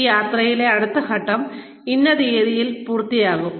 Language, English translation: Malayalam, The next step, in this journey, will be completed by, so and so date